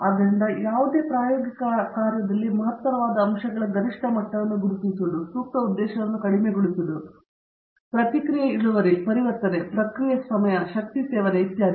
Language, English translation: Kannada, So, in any experimental work, an important objective could be to identify optimum levels of the various factors which will maximize, minimize a suitable objective for example, reaction yield, conversion, process time, energy consumed, etcetera